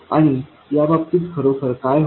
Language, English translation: Marathi, And what really happens in that case